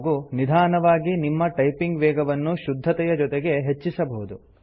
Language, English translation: Kannada, And gradually increase your typing speed and along with it your accuracy